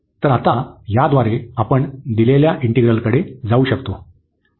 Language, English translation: Marathi, So, with this now we can approach to the given integral